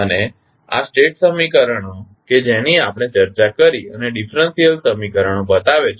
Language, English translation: Gujarati, And this shows the state equations so which we discussed and the differential equation